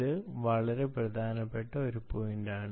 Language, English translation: Malayalam, this is a very important point